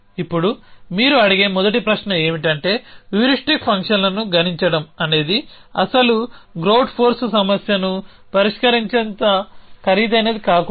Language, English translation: Telugu, Now, the first question arises to that you would ask is that computing the heuristic functions should not be as expensive as solving the original grout force problem